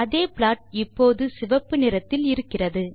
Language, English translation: Tamil, The same plot is seen in red color